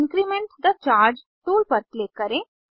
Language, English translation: Hindi, Click on Increment the charge tool